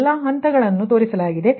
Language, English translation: Kannada, so all the steps have been shown